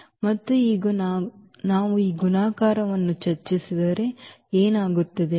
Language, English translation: Kannada, And now if we discuss this multiplication, so, what will happen